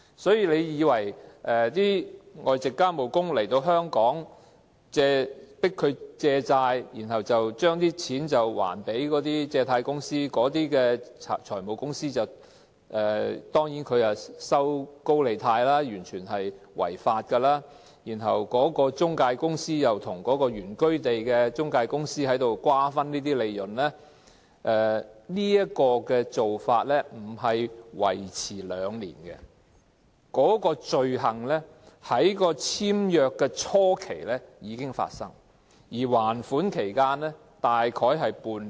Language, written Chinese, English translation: Cantonese, 所以，外籍家庭傭工來到香港被迫借錢，然後還錢給財務公司——財務公司放高利貸，完全是違法的——然後中介公司又跟原居地的中介公司瓜分有關利潤，這種做法不僅維持兩年，有關罪行在簽約初期已經發生，而還款期大約為半年。, It can then be seen that foreign domestic helpers are forced to take out loans and repay financial companies which are actually illegal loan sharks . The employment agency then split the gain with its counterpart in the foreign domestic helpers home country . This kind of activities lasts more than two years